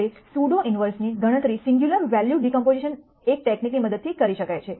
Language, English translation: Gujarati, Now, the pseudo inverse a for a can be calculated using a singular value decomposition as one technique